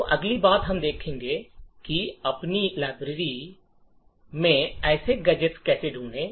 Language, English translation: Hindi, So, the next thing we will actually look at is, how do we find such gadgets in our library